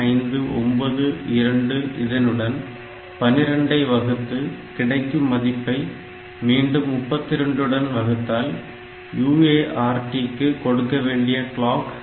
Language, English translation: Tamil, 0592 that divided by 12 and that is again divided by 32 for feeding the UART clock